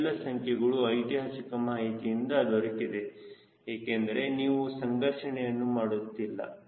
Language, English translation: Kannada, these numbers come from the historical data, right, because you are not doing analysis now